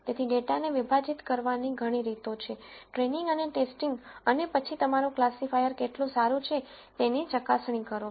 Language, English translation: Gujarati, So, there are many ways of splitting the data into train and test and then verifying how good your classifier is